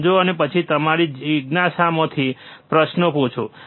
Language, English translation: Gujarati, Understand and then out of your curiosity ask questions